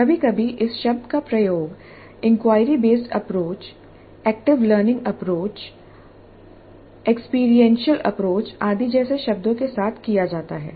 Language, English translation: Hindi, Sometimes the term is used interchangeably with terms like inquiry based approach, active learning approach, experiential approach and so on